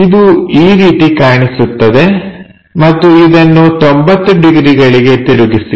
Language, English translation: Kannada, So, it appears in that way and rotate it by 90 degrees